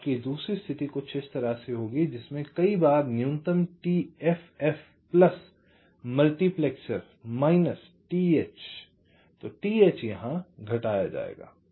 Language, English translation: Hindi, so your second condition will be like this: several time minimum t f f plus by multiplexer, minus t h, t h will get subtracted